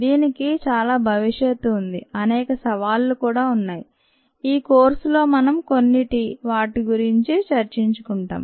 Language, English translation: Telugu, it has lot of promise, lot of challenges, some of which we will talk about in this course